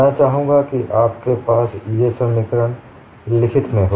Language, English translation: Hindi, I would like you to have these equations in your notes